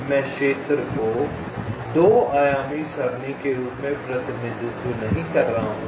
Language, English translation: Hindi, i am not representing the area as a two dimensional array any more